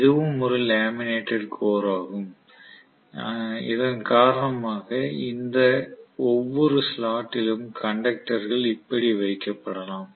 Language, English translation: Tamil, So this is also a laminated core because of which I may have conductors put in each of these slots like this